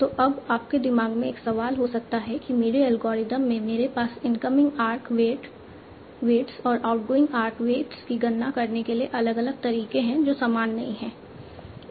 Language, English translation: Hindi, So now there might be a question in your mind that in my algorithm I have different ways of computing incoming art weights and as well as outgoing art ways